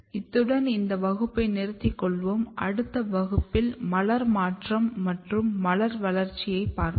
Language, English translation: Tamil, So, I will stop here in next class we will look floral transition and flower development